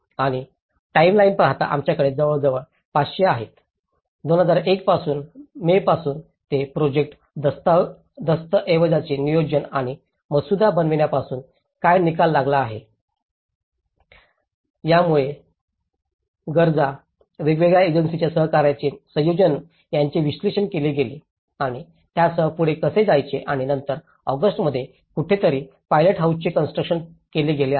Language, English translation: Marathi, And looking at the timeline, we have about 500, what are the results starting from the 2001 from May onwards it is about the planning and drafting of the project document so it looked at analysing the needs, the combination of the cooperation of different agencies and how to go ahead with it and then in August somewhere, the construction of the pilothouse have been constructed